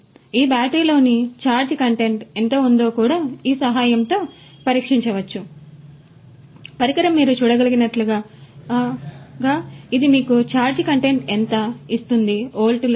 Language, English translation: Telugu, So, that how much is the charge content in these batteries could also be could also be tested with the help of this device as you can see this is giving you how much is the charge content right, how much is the volts right